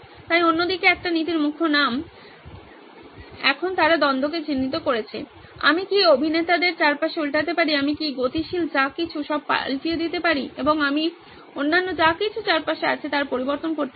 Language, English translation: Bengali, So other way round is a principle name of a principle, now that they have identified the conflict, can I flip the actors around, can I flip whatever is moving stationary and can I change the other one around